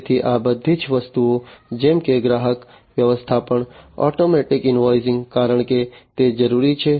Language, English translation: Gujarati, So, all these things like customer management, you know, automatic invoicing, because that is required